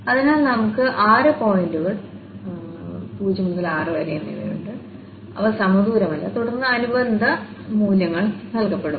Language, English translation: Malayalam, So, we have six points 0, 1, 2 and the 4, 5, 6 they are also not equidistant and then corresponding values are given